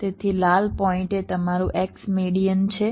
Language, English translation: Gujarati, so the red point is your x median median